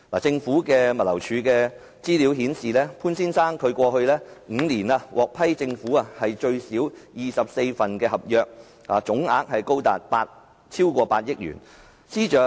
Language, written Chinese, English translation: Cantonese, 政府物流服務署資料顯示，潘先生過去5年獲政府批出至少24份合約，總額達8億元以上。, According to the information provided by the Government Logistics Department in the past five years the Government has at least awarded 24 contracts to Mr POON at a cost of over 800 million in total